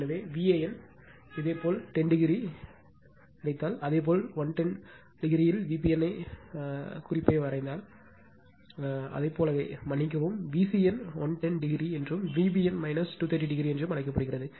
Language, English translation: Tamil, So, V a n if you got 10 degree, and with respect to that if you draw the reference V b n in 110 degree, because it is your what we call sorry V c n is given 110 degree, and V b n is minus 230 degree